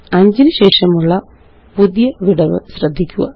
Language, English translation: Malayalam, Notice the new gap after the number 5